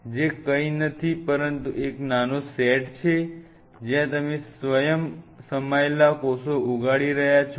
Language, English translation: Gujarati, Which is nothing, but a small set up where you are growing the cells which is self contained